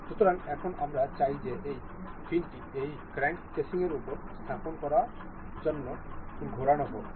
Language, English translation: Bengali, So, now, we want this this fin to be rotated to be placed over this crank casing